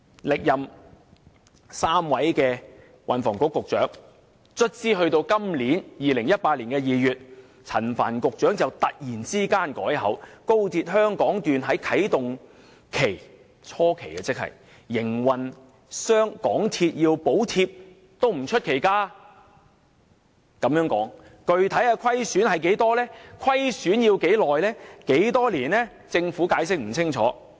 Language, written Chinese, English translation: Cantonese, 歷任3位運輸及房屋局局長，終於到了2018年2月，陳帆局長才突然改口說高鐵香港段在營運初期有啟動期，香港鐵路有限公司需要補貼亦不出奇。, Our third Secretary for Transport and Housing Frank CHAN suddenly changed his stance in February 2018 saying that the Hong Kong Section of XRL would have a start - up period at the initial stage and it was not surprising for the MTR Corporation Limited MTRCL to provide subsidy